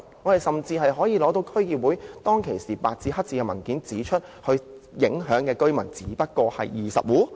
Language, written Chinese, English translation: Cantonese, 我們甚至可以拿出當時的區議會文件，是白紙黑字指出受影響居民只有20戶。, We can even produce the District Council document at that time which stated expressly that only 20 households would be affected